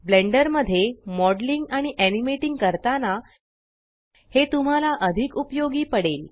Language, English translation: Marathi, You will find this very useful when modeling and animating in Blender